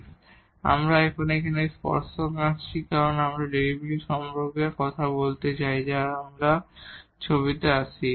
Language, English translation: Bengali, Now, we draw an tangent here because we are talking about the derivatives so, that we will come into the pictures